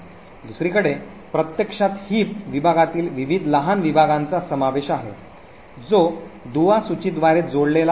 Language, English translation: Marathi, On the other hand the heap segment in fact comprises of various smaller segments which are connected by link list